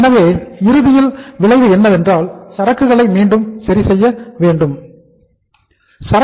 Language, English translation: Tamil, So ultimately the effect is that again the inventory also gets readjusted